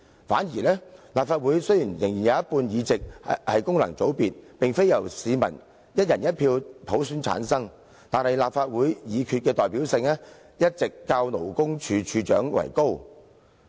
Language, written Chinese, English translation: Cantonese, 反之，立法會雖然有一半議席由功能界別產生，而非由市民"一人一票"普選產生，但立法會決議的代表性，一直較勞工處處長為高。, On the contrary although half of the seats of the Legislative Council are returned from functional constituencies instead of by one person one vote a resolution of the Legislative Council will have higher representativeness than a decision of the Commissioner for Labour